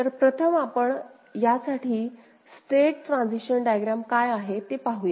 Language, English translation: Marathi, So, first let us see what would be the state transition diagram for this one